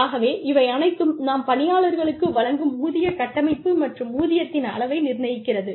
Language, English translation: Tamil, So, these are all determinants of the pay structure, and the level of salary, that we give to our employees